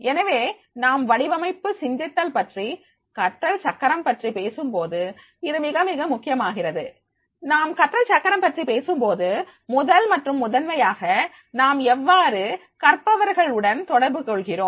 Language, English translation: Tamil, So, when we talk about the design thinking and the learning will, this becomes very, very important that is the when we talk the learning will, the first and foremost is that is the how we are connecting the learners